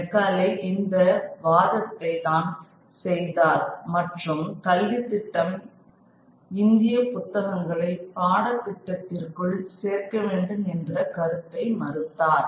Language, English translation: Tamil, That was the argument made by McCauley and he dismissed the idea that the education system should include Indian texts within the syllabi